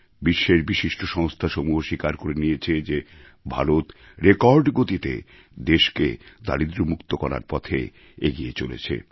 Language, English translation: Bengali, Noted world institutions have accepted that the country has taken strides in the area of poverty alleviation at a record pace